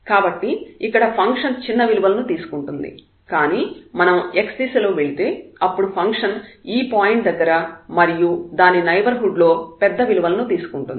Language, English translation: Telugu, So, here the function is taking lower values, but if we take in go in the direction of x then the function is taking the more values or the larger values then this point itself